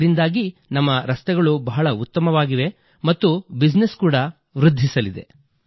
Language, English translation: Kannada, As a result of this, our roads have improved a lot and business there will surely get a boost